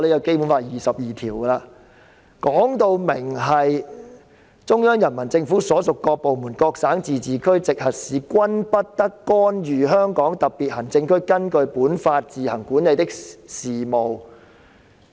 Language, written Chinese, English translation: Cantonese, 該條訂明："中央人民政府所屬各部門、各省、自治區、直轄市均不得干預香港特別行政區根據本法自行管理的事務。, It is stipulated in the article that [n]o department of the Central Peoples Government and no province autonomous region or municipality directly under the Central Government may interfere in the affairs which the Hong Kong Special Administrative Region administers on its own in accordance with this Law